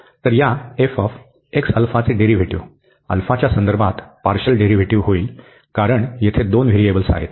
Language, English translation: Marathi, So, the derivative of this f x alpha will be the partial derivative with respect to alpha, because there are two variables here